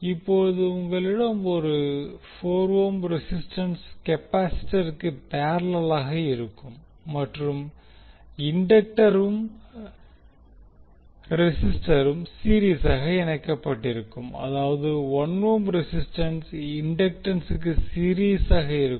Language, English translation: Tamil, You will have 4 ohm resistance in parallel now with the capacitor and the inductor and resistance will be in series that is 1 ohm resistance in series with the inductance